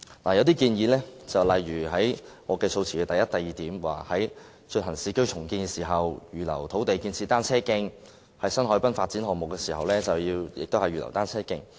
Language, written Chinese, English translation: Cantonese, 其中的建議，正如我的議案第一、二點所提述，是在進行市區重建時，預留土地建設單車徑，以及在新海濱發展項目時，增設單車徑。, Some of the suggestions as stated in items 1 and 2 of my motion are reserving lands for the construction of cycle tracks when undertaking urban renewal and adding cycle tracks to new harbourfront development projects